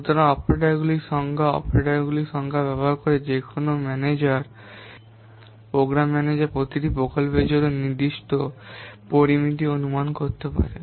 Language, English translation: Bengali, So by using the number of operators and the number of operands, any manager program manager can estimate certain parameters for his project